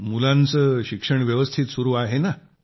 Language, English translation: Marathi, Are the children carrying on well with their studies